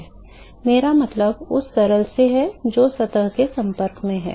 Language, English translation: Hindi, I mean the liquid which is in contact to the surface